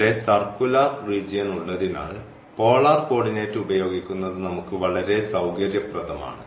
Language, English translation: Malayalam, So, again since we have the circular region it would be much convenient to use the polar coordinate